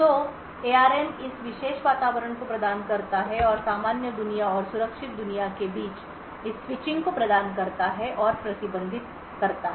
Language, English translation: Hindi, So, ARM provides this particular environment and provides and manages this switching between normal world and secure world